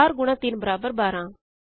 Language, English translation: Punjabi, 4 times 3 equals 12